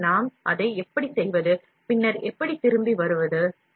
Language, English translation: Tamil, So, how do we do it, and then how do we come back